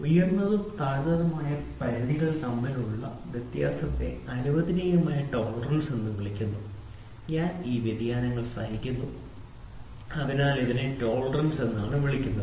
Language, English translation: Malayalam, The difference between upper and lower limit is termed as permissible tolerance so I tolerate I tolerate, so that is why it is called as tolerance